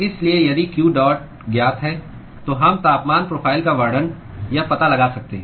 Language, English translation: Hindi, So, if q dot is known, then we can describe or find the temperature profile